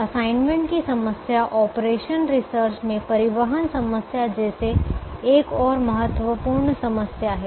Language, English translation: Hindi, the assignment problem is another important problem in operations research, like the transportation problem